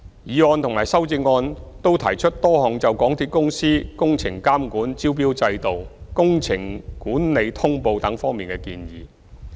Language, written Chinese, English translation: Cantonese, 議案和修正案均提出多項就港鐵公司工程監管、招標制度、工程管理通報等方面的建議。, Both the motion and the amendments raised a number of recommendations on MTRCLs supervision of works tendering system project management notification etc